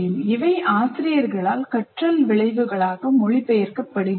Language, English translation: Tamil, So they have to translate into learning outcomes